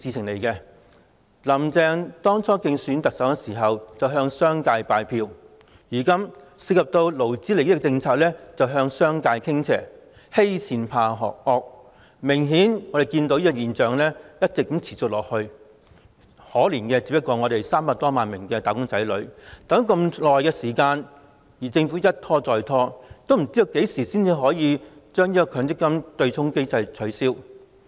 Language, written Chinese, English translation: Cantonese, "林鄭"當初競選特首時向商界拜票，現在涉及勞資利益的政策便向商界傾斜，欺善怕惡，這種現象顯然會一直持續下去，可憐的是300多萬名"打工仔女"，等了那麼久，政府卻一拖再拖，不知道何時才能取消強積金對沖機制。, When she ran in the election Carrie LAM had canvassed votes from the business sector and now she skews in favour of the business sector when it comes to policies involving labour interest bullying the weak but fearing the strong . Such a phenomenon will obviously go on persistently . The 3 million - odd wage earners will become pitiable because they have waited for so long and yet the Government has kept stalling and no one knows when the MPF offsetting mechanism can be abolished